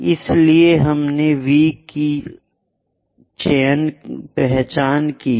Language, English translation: Hindi, So, we have identified V prime